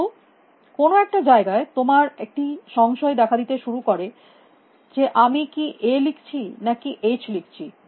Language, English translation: Bengali, But at some point, you may start getting a doubt about whether I am writing an A or whether I am writing an H